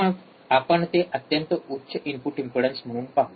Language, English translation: Marathi, Then we will see it as a extremely high input impedance